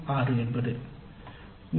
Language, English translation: Tamil, 2 then 3